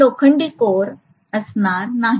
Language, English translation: Marathi, It will not be an iron core, right